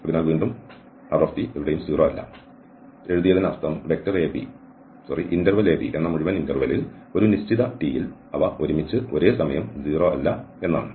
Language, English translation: Malayalam, So, again, there we have written nowhere 0 and now we have here that they are not simultaneously 0 that means for a given t, they all are not 0 all together in the whole interval a,b